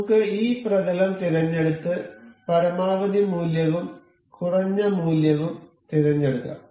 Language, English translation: Malayalam, Let us just select this plane and this plane and will select a maximum value and a minimum value